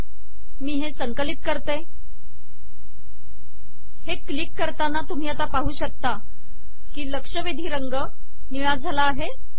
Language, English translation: Marathi, Let me compile it, when I click this you can see now that the alerted color has now become blue